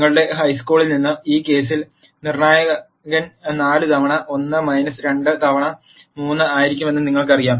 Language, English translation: Malayalam, From your high school, you know the determinant is going to be in this case simply 4 times 1 minus 2 times 3